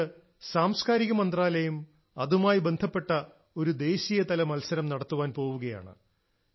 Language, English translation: Malayalam, Therefore, the Ministry of Culture is also going to conduct a National Competition associated with this